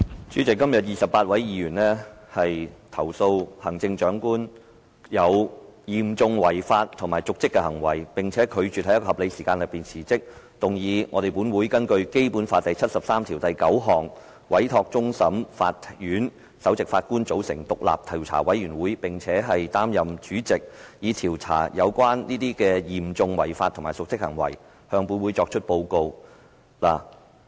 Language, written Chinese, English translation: Cantonese, 主席，今天28位議員指控行政長官有嚴重違法及瀆職的行為，並拒絕在一個合理的時間內辭職，動議立法會根據《基本法》第七十三條第九項，委托終審法院首席法官組成獨立的調查委員會，並擔任該委員會的主席，以調查有關嚴重違法及瀆職行為及向立法會提出報告。, President today 28 Members charge the Chief Executive with serious breaches of law dereliction of duty and refusal to resign within a reasonable time they move a motion under Article 739 of the Basic Law to give a mandate to the Chief Justice of the Court of Final Appeal to form and chair an independent inquiry committee to investigate the relevant matters and report its findings to the Council